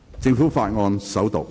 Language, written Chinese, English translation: Cantonese, 政府法案：首讀。, Government Bill First Reading